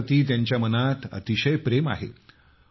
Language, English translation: Marathi, He has deep seated love for India